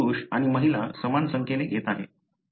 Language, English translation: Marathi, I am taking similar number of males and females